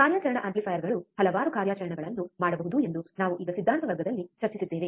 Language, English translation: Kannada, Now we have already discussed in the theory class that operational amplifiers can do several operations, right